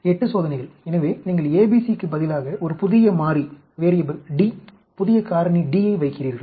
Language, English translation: Tamil, 8 experiments is, so you put a new variable D, new factor D in, in place of ABC